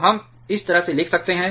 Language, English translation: Hindi, So, rearranging we can write like this